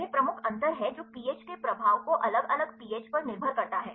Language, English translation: Hindi, This is major difference it is dependent upon the different pH the effect of pH